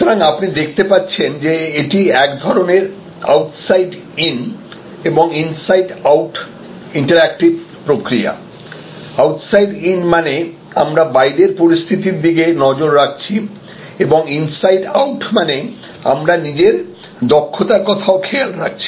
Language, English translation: Bengali, So, you can see therefore, it is kind of an outside in and inside out interactive process, outside in means we look at outside situation and inside out means, we look at our internal competencies, etc